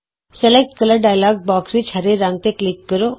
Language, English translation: Punjabi, In the Select Color dialogue box, click green.Click OK